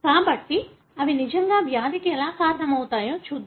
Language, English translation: Telugu, So, let us see how really they can cause disease